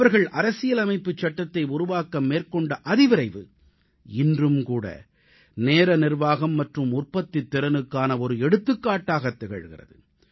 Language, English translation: Tamil, The extraordinary pace at which they drafted the Constitution is an example of Time Management and productivity to emulate even today